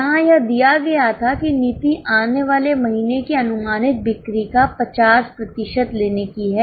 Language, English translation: Hindi, Here it was given that the policy is of carrying 50% of following months projected sales